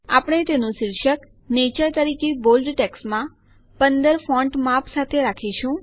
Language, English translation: Gujarati, We will give its heading as Nature in bold text with font size 15